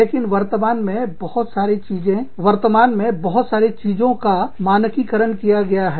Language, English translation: Hindi, But, nowadays, a lot of things, have been standardized